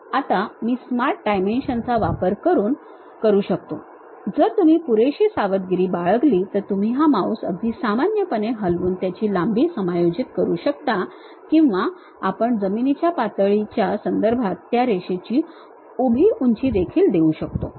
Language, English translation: Marathi, Now, I can use my smart dimension, this one if you are careful enough you can just pull this mouse normal to that adjust the length or we can give the vertical height of that line also with respect to ground level